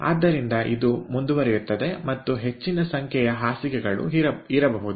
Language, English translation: Kannada, so this continues and there could be more number of beds